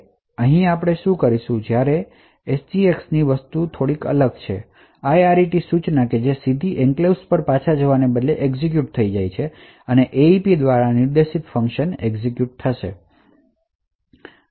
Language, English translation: Gujarati, Here with SGX things are slightly bit different whenever there is the IRET instruction that gets executed instead of going back directly to the enclave the function pointed to by this AEP is executed